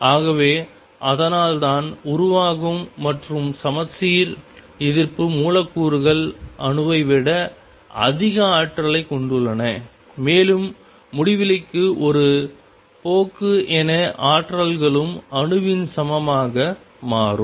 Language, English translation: Tamil, So, that that is why molecules that formed and anti symmetric psi has energy greater than the atom and as a tends to infinity both energies become equal to that of the atom